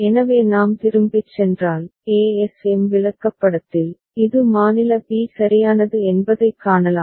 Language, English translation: Tamil, So if we go back, so in the ASM chart, we can see this is state b right